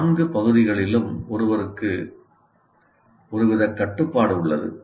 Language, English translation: Tamil, All the four parts, he has some kind of control